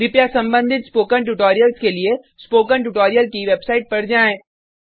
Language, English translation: Hindi, Please go through the relevant spoken tutorials on the spoken tutorial website